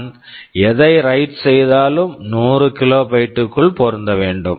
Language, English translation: Tamil, WSo, whatever I write must fit within this 100 kilobytes